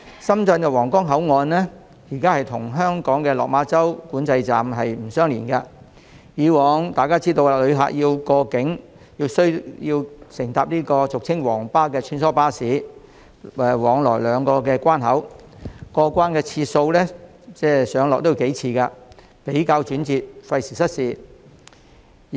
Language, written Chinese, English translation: Cantonese, 深圳的皇崗口岸與香港的落馬洲管制站並不相連，而一如大家所知，需要過境的旅客須乘搭俗稱"皇巴"的穿梭巴士往來兩地關口，不但要上落車數次，而且過程轉折，費時失事。, The Huanggang Port in Shenzhen is not physically connected with Lok Ma Chau Control Point in Hong Kong and as we all know cross - boundary passengers have to travel between the two control points by a shuttle bus commonly known as the Yellow Bus . Apart from the need to board and alight from the bus several times this trip is also tiresome and time - consuming